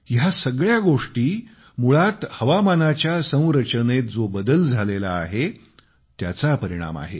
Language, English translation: Marathi, These calamities are basically the result of the change in weather patterns